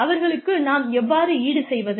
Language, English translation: Tamil, How do we compensate them